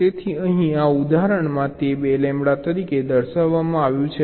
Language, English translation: Gujarati, so here it is shown as two lambda